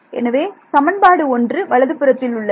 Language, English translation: Tamil, In equation 1, I have 2 terms on the right hand side right